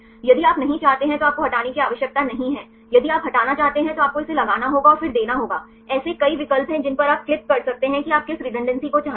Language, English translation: Hindi, If you do not want just you do not have to remove; if you want to remove you have to put this and then give; there are several options you can click which redundancy do you want